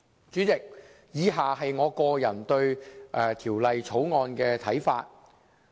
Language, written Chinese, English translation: Cantonese, 主席，以下是我個人對《條例草案》的看法。, President I now give my personal views on the Bill as follows